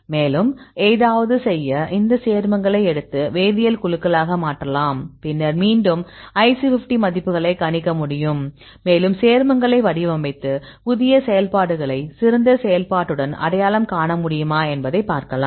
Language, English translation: Tamil, So, we can change the chemical group and then again predicted predict the IC50 values and you can design your own compounds and see whether you can identify any new compounds with better activity